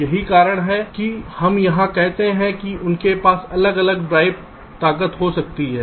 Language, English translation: Hindi, thats why we say here is that they can have different drive strengths